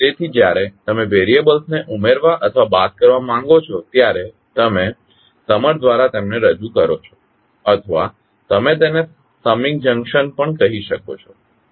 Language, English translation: Gujarati, So, when you want to add or subtract the variables you represent them by a summer or you can also call it as summing junction